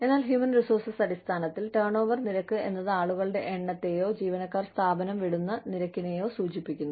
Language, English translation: Malayalam, But, in human resources terms, turnover rates refer to, the number of people, or the rate at which, the employees leave the firm